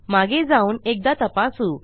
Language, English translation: Marathi, Lets go back and check